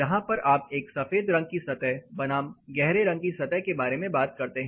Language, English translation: Hindi, This is where we talk about a white painted surface versus a dark color painted surface